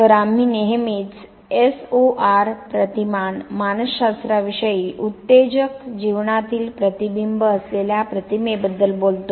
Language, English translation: Marathi, So, we always talk of SOR paradigm psychology, the stimulus organism response paradigm